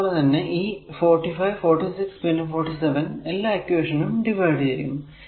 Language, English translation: Malayalam, So, that is 45, 46 and 47 this is the equation number right